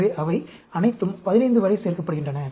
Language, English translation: Tamil, So, they all add up to 15